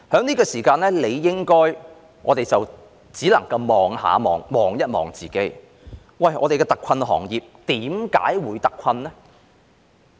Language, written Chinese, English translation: Cantonese, 此時此刻，我們只能回顧反思，我們的特困行業為何會特困？, At this point in time we can only look back and reflect on the reasons why our hard - hit industries have been particularly hard hit